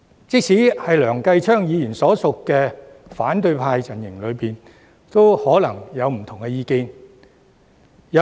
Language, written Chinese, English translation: Cantonese, 即使在梁繼昌議員所屬的反對派陣營中，也可能有不同的意見。, There are probably divergent views even within the opposition camp to which Mr Kenneth LEUNG belongs